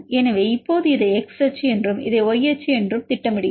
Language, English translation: Tamil, So, now, we plot this as X axis and this as Y axis